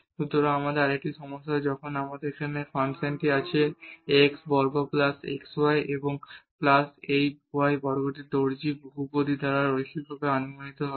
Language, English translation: Bengali, So, another problem when we have the function here x square plus xy and plus this y square be linearly approximated by the tailors polynomial